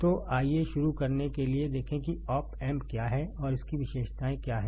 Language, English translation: Hindi, So, to start with let us see what is op amp and what are its characteristics right